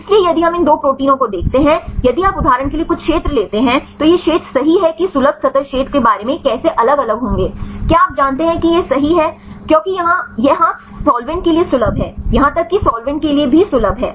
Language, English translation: Hindi, So, if we look into these 2 proteins right if you take some region for example, this region right how about the accessible surface area will vary with now is you know varies right, because this is accessible to solvent here also accessible to solvent right in this case you do not see any change right